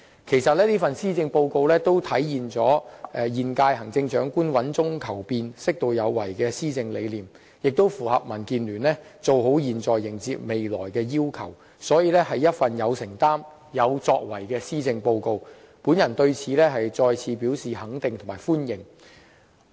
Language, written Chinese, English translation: Cantonese, 其實這份施政報告體現了現任行政長官穩中求變，適度有為的施政理念，亦符合民主建港協進聯盟"做好現在，迎接未來"的要求，所以，是一份有承擔和有作為的施政報告，我對此再次表示肯定和歡迎。, Actually the years Policy Address seeks to realize the Chief Executives governance philosophy of making positive changes while maintaining stability which echoes with the requirement set by the Democratic Alliance for the Betterment and Progress of Hong Kong DAB that is doing the right thing for futures sake . And so it is deemed a Policy Address of commitments meant to make a real difference . Let me express once again my recognition and appreciation for it